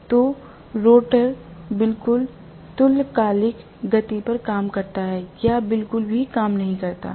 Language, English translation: Hindi, So, the rotor works exactly at synchronous speed or does not work at all